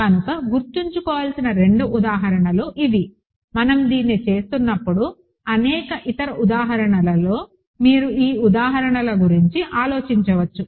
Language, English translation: Telugu, So, the two examples to keep in mind are these, among many other examples as we are doing this you might want to think about these examples, ok